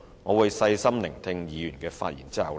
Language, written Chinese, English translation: Cantonese, 我會在細心聆聽議員的發言後再作回應。, I will give a further response after carefully listening to Members speeches